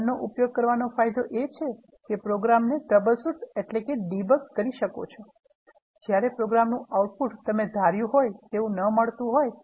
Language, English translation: Gujarati, The advantage of using Run is, you can troubleshoot or debug the program when something is not behaving according to your expectations